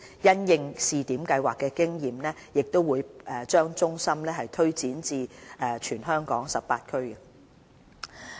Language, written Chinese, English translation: Cantonese, 因應試點計劃所得經驗，會把中心推展至全港18區。, With the experience gained from the pilot scheme we will set up DHCs in all 18 districts